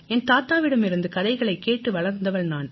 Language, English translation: Tamil, Sir, I grew up listening to stories from my grandfather